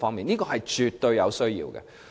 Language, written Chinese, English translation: Cantonese, 這是絕對有需要的。, This is absolutely necessary